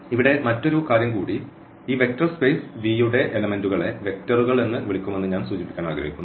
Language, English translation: Malayalam, So, that is another point here I would like to mention that the elements of this vector space V will be called vectors